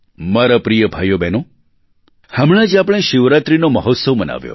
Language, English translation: Gujarati, My dear brothers and sisters, we just celebrated the festival of Shivaratri